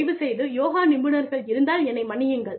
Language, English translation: Tamil, Please, so, any yogis out there, please forgive me